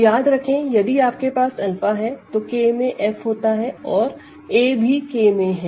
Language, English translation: Hindi, So, remember K contains F if you have some alpha here and some a here a is also in K